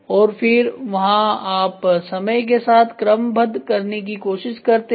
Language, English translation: Hindi, And then there you also try to do a sequencing with respect to time